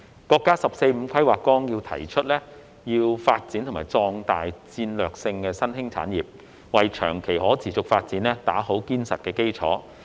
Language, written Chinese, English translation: Cantonese, 國家《十四五規劃綱要》提出要發展和壯大戰略性新興產業，為長期可持續發展打好堅實的基礎。, The Outline of the 14th Five - Year Plan of China proposes to develop and strengthen strategic emerging industries to lay a solid foundation for long - term sustainable development